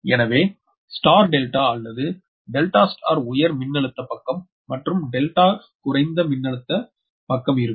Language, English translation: Tamil, so star delta or delta, star star side should always be at the high voltage side and delta should be always low voltage side